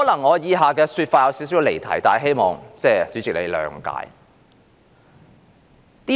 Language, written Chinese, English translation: Cantonese, 我以下的說法可能會稍微離題，但希望主席諒解。, The comments I am going to make may slightly digress from the subject but I hope the President will make allowance for that